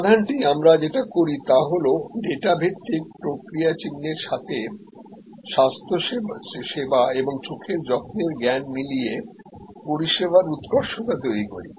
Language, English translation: Bengali, The solution that we do this is what application of data based process signs combined with good understanding of health care, eye care one can create service excellence